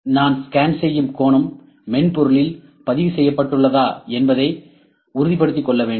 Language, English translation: Tamil, I just need to see that make sure that the angle on which I am scanning is also recorded in the software as well